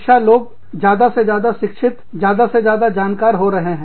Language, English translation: Hindi, People are becoming, more and more educated, more and more aware